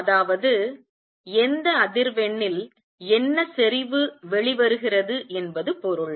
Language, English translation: Tamil, That means, what intensity is coming out at what frequency